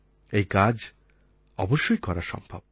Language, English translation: Bengali, This can surely be done